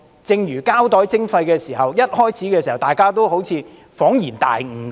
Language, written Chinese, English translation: Cantonese, 正如在實施膠袋徵費時，一開始大家也像恍然大悟般。, As in the case of the implementation of the plastic shopping bag levy people had seemingly been caught unprepared at the beginning